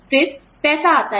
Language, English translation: Hindi, Then, comes the amount